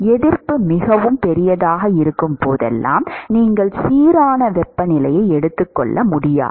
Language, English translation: Tamil, Whenever the resistance is very large, you cannot assume uniform temperature